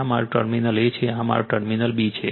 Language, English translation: Gujarati, This is my terminal A and this is my B